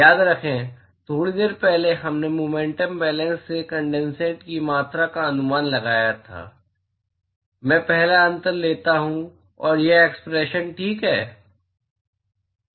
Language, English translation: Hindi, Remember a short while ago we estimated the amount of condensate from momentum balance, I take the first differential and that is this expression ok